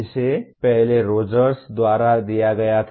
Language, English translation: Hindi, Earlier was given by Rogers